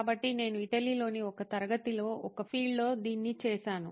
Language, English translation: Telugu, So, I have done this in a field in a class in Italy